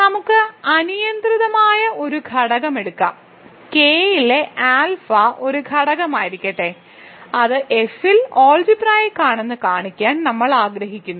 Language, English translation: Malayalam, So, let us take an arbitrary element, so let alpha in K be an arbitrary element we want to show that it is algebraic over F, we will show that alpha is algebraic over F, that is what our goal is